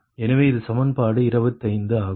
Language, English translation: Tamil, this is equation twenty nine